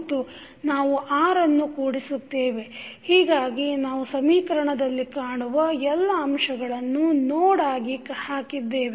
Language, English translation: Kannada, And, then we add R so, we have put all the elements which we have seen in the equation as nodes